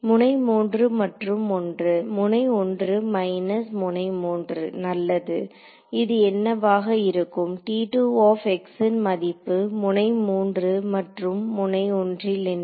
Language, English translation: Tamil, Node 3 and 1, yeah node 1 minus node 3 fine, what will this be; what is the value of T 2 x at node 3 at node 1 let us say